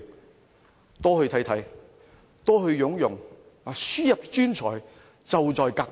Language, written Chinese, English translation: Cantonese, 政府多去看看，多去聘用，輸入專才，就在隔壁。, The Government should pay more visits to its neighbours . It should head for the neighbouring places for talent hiring